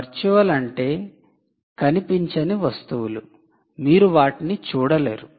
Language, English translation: Telugu, virtual are those objects which are intangible